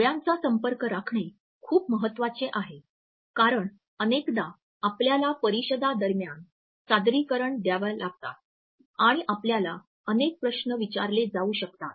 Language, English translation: Marathi, Maintaining an eye contact is very important often we have to make presentations during conferences and we may be asked several questions